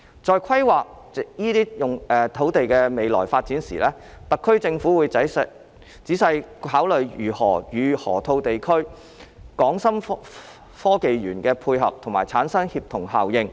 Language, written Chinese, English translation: Cantonese, 在規劃這些土地的未來發展時，特區政府會仔細考慮如何與河套地區的港深創科園配合及產生協同效應。, In planning the future development of these pieces of land the SAR Government will carefully consider how the land can dovetail with the development of HSITP in the Loop to achieve synergy